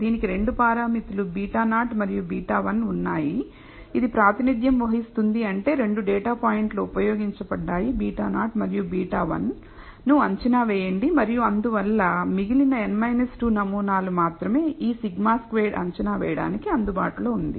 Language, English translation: Telugu, It had 2 parameters beta naught and beta 1 which represents means that 2 of the data points have been used to estimate beta naught and beta 1 and therefore, only the remaining n minus 2 samples are available for estimating this sigma squared